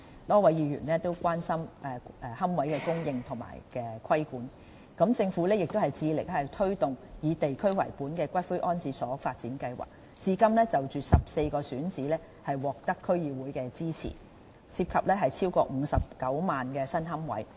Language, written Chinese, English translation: Cantonese, 多位議員亦關心龕位的供應和規管，政府致力推動以地區為本的骨灰安置所發展計劃，至今已就14個選址獲得區議會支持，涉及超過59萬個新龕位。, Many Members are concerned about the supply and regulation of niches . The Government is committed to pursuing a district - based columbarium development scheme and has so far obtained support from the District Councils for 14 identified sites which involve more than 590 000 new niches